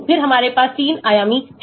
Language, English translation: Hindi, then we have 3 dimensional